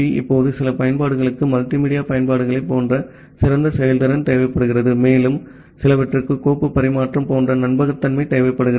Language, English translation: Tamil, Now, some application they require fine grained performance like the multimedia applications and some others requires reliability like a file transfer